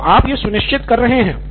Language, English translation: Hindi, So you are making sure of that